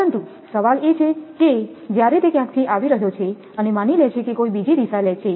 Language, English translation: Gujarati, But question is that when it is coming from somewhere, and supposes taking another direction